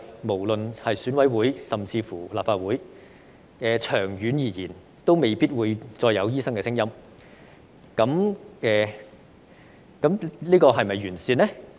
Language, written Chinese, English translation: Cantonese, 無論是選委會以至是立法會，長遠而言，都未必會再有醫生的聲音，這樣是否"完善"呢？, Be it in the EC or the Legislative Council the views of doctors may not be heard anymore in the long run . Is this an improvement?